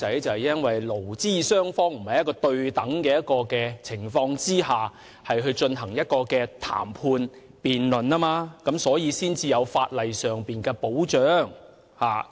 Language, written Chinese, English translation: Cantonese, 就是因為勞資雙方並非在對等的情況下進行談判或辯論，因此有需要在法例上為"打工仔"提供保障。, This is because employers and employees are not on an equal footing when they negotiate or debate with each other . That is why we need to provide legislative safeguards for wage earners